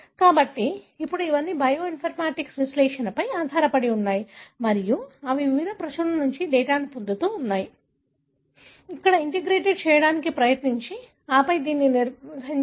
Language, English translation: Telugu, So, now it is all based on bioinformatic analysis and they keep getting data from various publications, try to integrate here and then maintain it